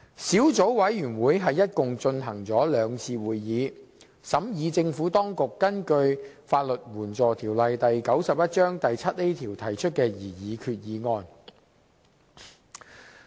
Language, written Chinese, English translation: Cantonese, 小組委員會共舉行了兩次會議，審議政府當局根據《法律援助條例》第 7a 條提出的擬議決議案。, The Subcommittee has held two meetings to examine the proposed resolution put forth by the Government under section 7a of LAO